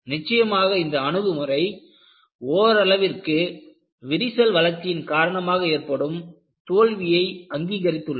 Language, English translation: Tamil, Definitely this approach, to some extent, has recognized the failure due to crack growth